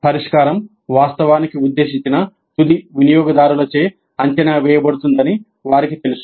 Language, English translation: Telugu, They know that their solution will be actually assessed by the intended end users